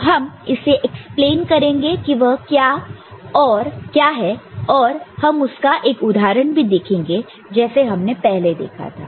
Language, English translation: Hindi, So, we shall explain it what it is right and we shall see one example of course, the way we had seen before